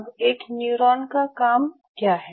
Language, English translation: Hindi, Now what is the function of a neuron